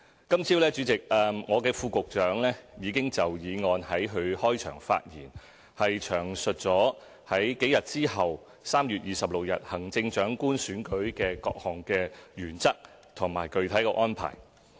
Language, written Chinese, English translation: Cantonese, 今天早上，我的副局長已經就議案在開場發言詳述幾日之後舉行的行政長官選舉的各項原則和具體安排。, This morning my Under Secretary already gave a detailed account of the principles and specific arrangements concerning the Chief Executive Election which will take place a few days later on 26 March